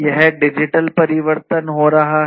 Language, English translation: Hindi, This digital transformation has been happening